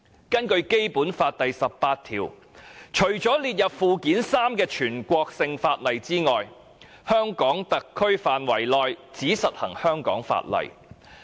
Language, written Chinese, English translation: Cantonese, 根據《基本法》第十八條，除了列於附件三的全國性法律外，在香港特區範圍內只實行香港法例。, According to Article 18 of the Basic Law except for the national laws listed in Annex III only the laws of Hong Kong shall be applied within HKSAR